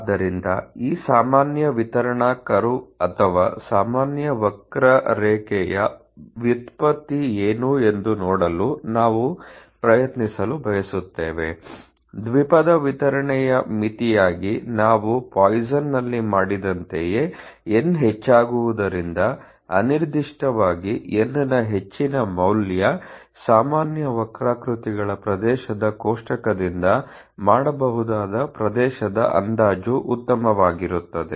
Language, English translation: Kannada, So, we would like to sort of you know go head, and try to see what is the derivation of this normal distribution curve or normal curve as the limit to the binomial distributions same way as we did Poisson’s as n is increase in definitely the greater the value of n the better the estimate of the area that can be made from the normal curves area table